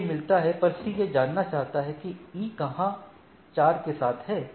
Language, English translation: Hindi, So, when gets A, but, it C knows where E is with 4